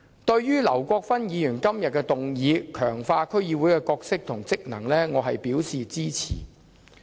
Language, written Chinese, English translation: Cantonese, 對於劉國勳議員提出"強化區議會的角色及職能"議案，我表示支持。, I support Mr LAUs motion on Strengthening the role and functions of District Councils